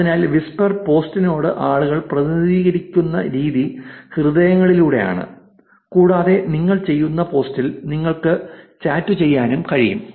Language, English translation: Malayalam, So, the way that people react to the post on whisper is by hearts and also you can chats on the post that you make